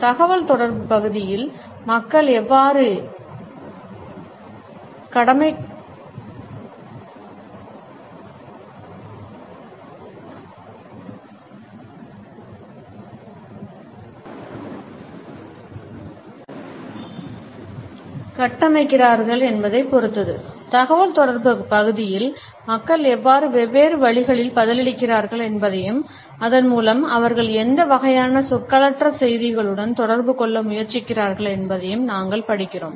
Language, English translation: Tamil, In the area of communication we also study how in different ways people respond to it and thereby what type of nonverbal messages they try to communicate with it